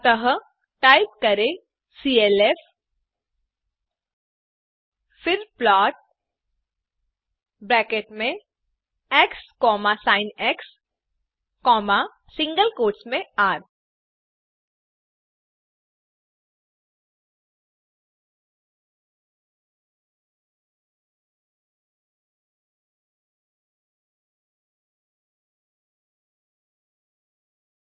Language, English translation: Hindi, So type clf, then plot within brackets x,sin,within single quotes r